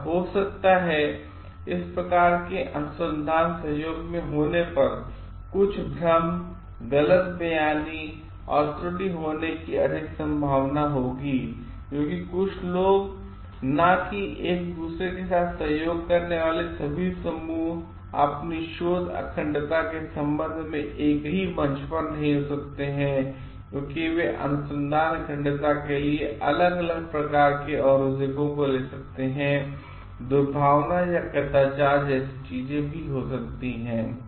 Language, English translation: Hindi, It may so happen there will be some confusion, misrepresentation and more chances of error happening when these type of research collaborations happen because people may, not all the groups collaborating with each other may not be on the same platform with respect to their research integrity and different types of like deterrents for research integrity may take over and do like malpractices or misconduct may happen